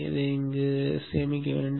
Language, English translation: Tamil, And save that